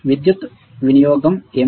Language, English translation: Telugu, What is the power consumption